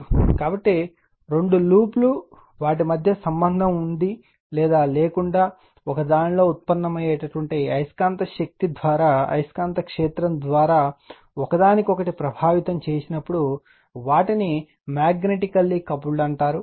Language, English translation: Telugu, So, when two loops with or without contact between them affect each other through the magnetic field generated by one of them, they are said to be magnetically coupled right